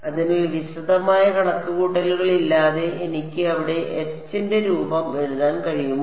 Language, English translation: Malayalam, So, can I without any detailed calculations write down the form of H there